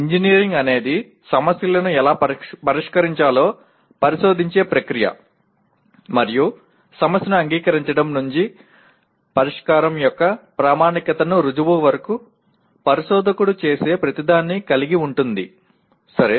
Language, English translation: Telugu, Whereas engineering is a process of investigation of how to solve problems and includes everything the investigator does from the acceptance of the problem to the proof of the validity of the solution, okay